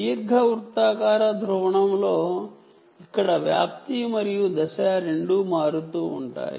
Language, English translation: Telugu, so in elliptic polarization, this is which is here both amplitude and phase, it is not only this one